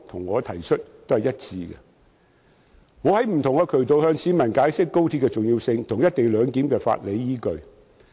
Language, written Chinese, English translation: Cantonese, 我曾透過不同渠道向市民解釋高鐵的重要性和"一地兩檢"的法理依據。, I have explained to the public the importance and legal basis of the co - location arrangement through various channels